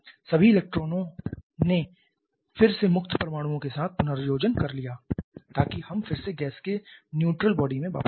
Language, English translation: Hindi, All the electrons again recombine with the free atoms so that we again are back to a neutral body of gas